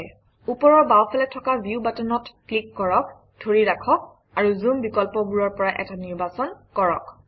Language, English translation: Assamese, Click the View button on the top left hand side, hold and choose one of the zoom options